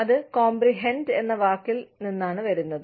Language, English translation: Malayalam, Which comes from the word, comprehend